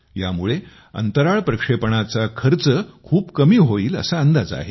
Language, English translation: Marathi, Through this, the cost of Space Launching is estimated to come down significantly